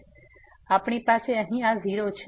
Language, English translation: Gujarati, So, we got this 0